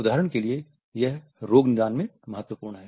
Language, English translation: Hindi, For example, there are significant in clinical diagnosis